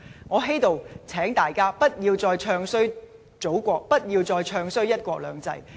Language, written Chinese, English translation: Cantonese, 我在此請大家不要再"唱衰"祖國，不要再"唱衰""一國兩制"。, May I urge people not to bad - mouth our Motherland and one country two systems again